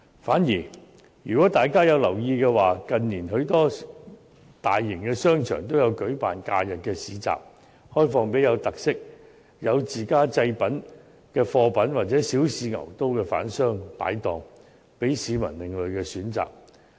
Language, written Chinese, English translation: Cantonese, 反而，如果大家有留意的話，近年許多大型商場均有舉辦假日市集，開放給具特色、有自家製品或想小試牛刀的販商擺檔，向市民提供另類選擇。, Conversely Members may have noticed that in recent years many large shopping arcades have organized holiday bazaars for hawking by traders who have self - made products with special characteristics or who wish to try out the business on a small scale first thus providing the public with alternative choices